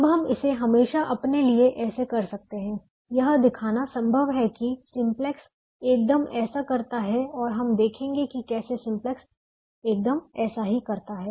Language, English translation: Hindi, it's also possible to show that simplex does exactly that, and we will see how simplex does exactly that